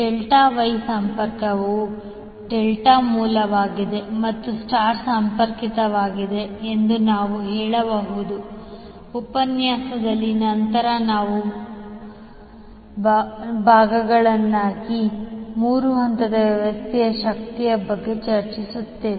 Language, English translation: Kannada, You can also say Delta Wye connection where delta is the source and the star connected is the load and also in the later part of the session, we will discuss about the energy for a three phased system